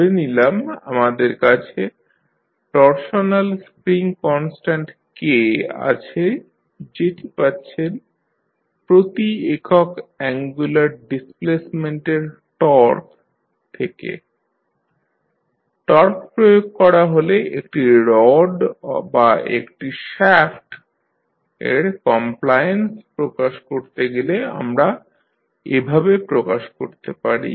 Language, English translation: Bengali, Torsional spring let us say we have a torsional spring constant k that is given in torque per unit angular displacement, so we can devised to represent the compliance of a rod or a shaft when it is subject to applied torque